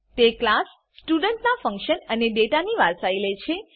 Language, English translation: Gujarati, It inherits the function and data of class student